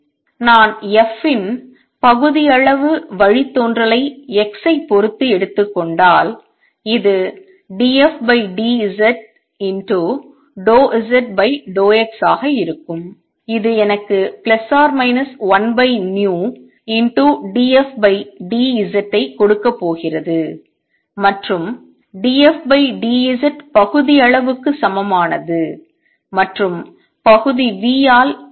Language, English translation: Tamil, And if I take partial derivative of f is respect to x this is going to be d f d z times partial z over partial x which is going to give me minus one over v d f d z and d f d z is same as partial and is by partial v